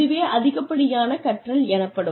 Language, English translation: Tamil, So, that is over learning